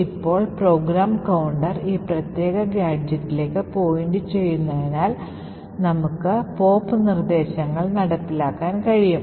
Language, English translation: Malayalam, Now since the program counter is pointing to this particular gadget, we would have the pop instruction getting executed